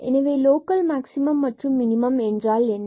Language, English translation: Tamil, So, what is local maximum and minimum we will define here